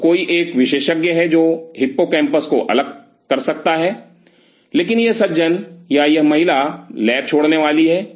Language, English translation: Hindi, So, somebody is an expert who can isolate hippocampus, but this gentleman or this lady is going to leave the lab